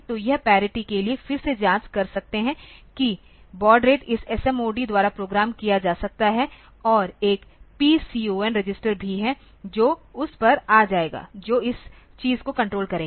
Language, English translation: Hindi, So, you can check for the parity by that and again the baud rate is programmable by this SMOD and there is a PCON register is also there will come to that which will control this thing